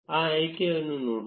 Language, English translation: Kannada, Let us look at that option